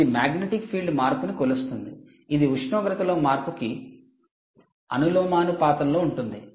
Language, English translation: Telugu, ok, and change in magnetic field is proportional to change in temperature